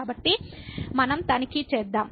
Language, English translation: Telugu, So, let us just check